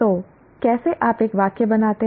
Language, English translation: Hindi, So how do you form a sentence